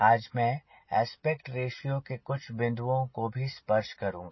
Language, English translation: Hindi, i will also touch upon aspect ratio